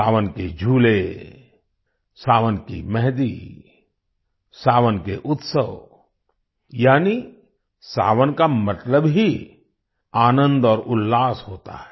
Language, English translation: Hindi, The swings of Sawan, the mehendi of Sawan, the festivities of Sawan… that is, 'Sawan' itself means joy and enthusiasm